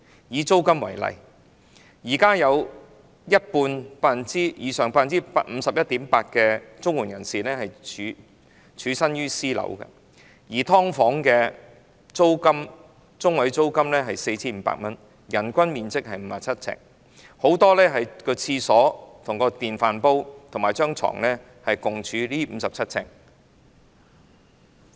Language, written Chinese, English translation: Cantonese, 以租金為例，現時有一半以上的領取綜援人士居於私樓，而"劏房"的租金中位數是 4,500 元，人均面積只有57平方呎，很多"劏房戶"的廁所、電飯煲及床全部均處於這57平方呎內。, Take rent as an example more than half 51.8 % of the CSSA recipients are currently living in private properties whereas the median monthly rental of subdivided units is 4,500 but the living area per person is merely 57 sq ft For many households living in subdivided units their toilet rice cooker and bed are all placed within this 57 sq ft